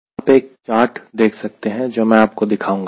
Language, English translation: Hindi, you can refer one chart, which i will be showing it to you